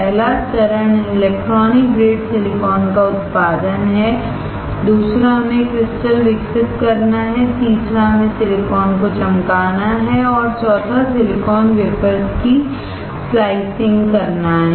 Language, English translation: Hindi, First step is production of electronic grade silicon, second is we have to grow the crystal, third is we have to polish the silicon and fourth is slicing of silicon wafers